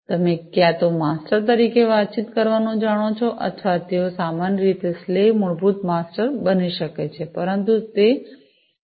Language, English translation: Gujarati, You know communicating as either masters or they can be slave typically masters, but they could be slave as well